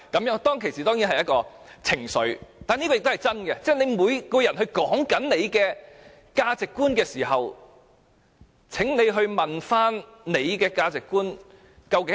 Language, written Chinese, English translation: Cantonese, 我當時的確語帶情緒，但當每個人都指出自己的價值觀的時候，請問自己的價值觀是甚麼。, I did speak with emotions at the time but when everyone points out their values please ask yourself what your values are